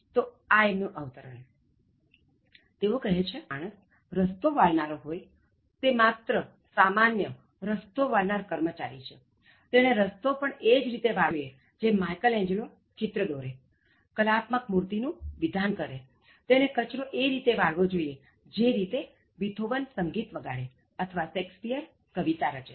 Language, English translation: Gujarati, So, quote from him, he says: “If a man is called to be a street sweeper, it is just a sweeper on the road, he should sweep streets even as Michelangelo painted, he should sweep the street as if he is sculpting a statue with utmost perfection or Beethoven played music, or Shakespeare wrote poetry